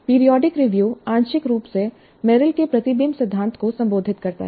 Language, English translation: Hindi, And periodic review is partly addresses the reflection principle of Merrill